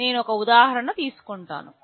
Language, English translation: Telugu, I will take some example